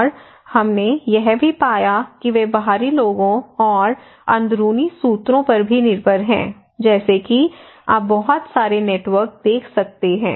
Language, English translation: Hindi, And we also found that they are depending on outsiders and also insiders okay, like here you can see a lot of networks, a lot of there